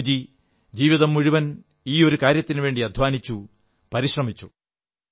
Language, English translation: Malayalam, Revered Bapu fought for this cause all through his life and made all out efforts